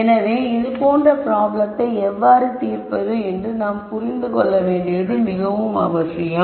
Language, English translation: Tamil, So, it is important to understand how these problems are solved